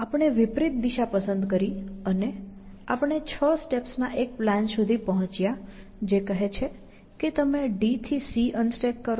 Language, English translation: Gujarati, We choose an opposite order, and we ended up finding a plan, which is the six step plan, which says that you unstack c from d